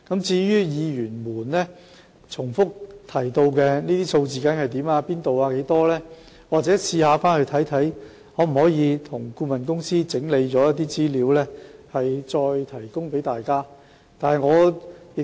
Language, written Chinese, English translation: Cantonese, 至於議員重複問及的資料，例如哪個品牌的配方粉在何處缺貨、缺貨量多少等，待我稍後請顧問公司整理一些資料，再向大家提供。, As regards the information Members have repeatedly asked for such as the brands of powdered formula that are in short supply the districts involved and the volume of the shortage I will ask the consultancy firms to collate the information and then provide to Members